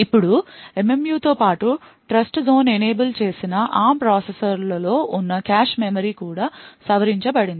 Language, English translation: Telugu, Now in addition to the MMU the cache memory present in Trustzone enabled ARM processors is also modified